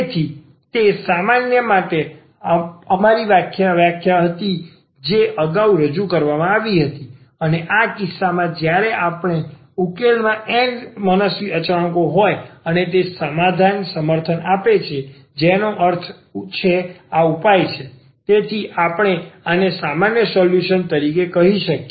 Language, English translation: Gujarati, So, that was our definition also for the general solution which was introduced earlier and in this case when we have these n arbitrary constants in the solution and it satisfies the equation meaning this is the solution, so we can call this as the general solution